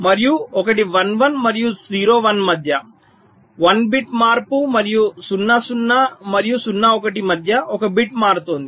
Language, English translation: Telugu, and one is between one, one and zero, one, one bit change and between zero, zero and zero, one, one bit changing